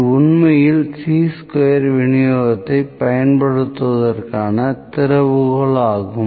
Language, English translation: Tamil, This is actually the key to use Chi square distribution